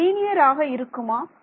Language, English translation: Tamil, Are they linear